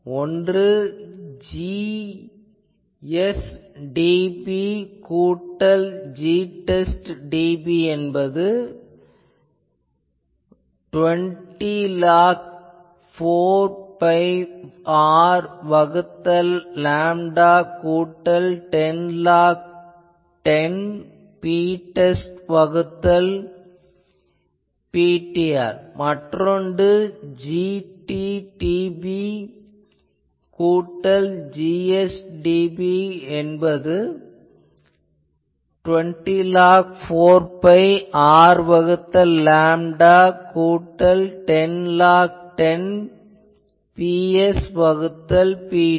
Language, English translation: Tamil, So, P I am calling P s Now, you see what is the those two equations become, so I can write G t dB plus G test dB is 20 log 10 4 pi R by lambda plus 10 log 10 P test by Pt and G t dB plus Gs dB is 20 log 10 4 pi R by lambda plus 10 log 10 Ps by Pt